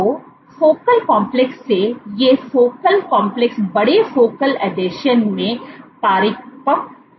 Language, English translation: Hindi, So, from focal complexes, these focal complexes mature into larger Focal Adhesions